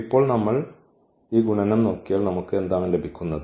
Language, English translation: Malayalam, Now if we just look at this multiplication what we are getting